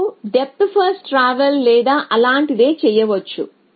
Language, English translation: Telugu, You can just do a depth first traversal or something like…